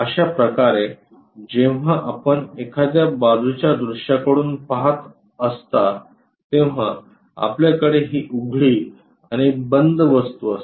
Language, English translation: Marathi, In that way when we are looking from side view, we have this open thing and closed one